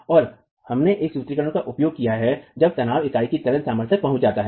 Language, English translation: Hindi, And we used a formulation based on when the principal tension reaches the tensile strength of the unit